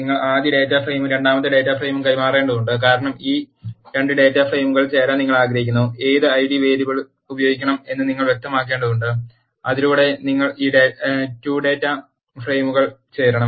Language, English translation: Malayalam, And you need to pass the first data frame and the second data frame, because you want to do joining of this 2 data frames and you have to specify, by which I d variable you have to join this 2 data frames